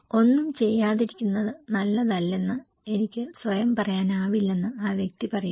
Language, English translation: Malayalam, And the person is saying that I cannot say myself that doing nothing is not the best is not the best solution